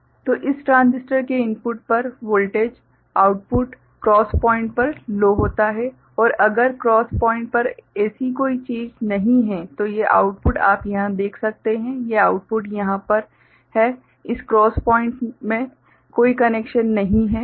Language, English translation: Hindi, So, voltage at the input of this the transistor next the output low right at the cross point and if at the cross if at the cross point no such thing is there, then these output will be you can see over here these output over here, there is no connection in this cross point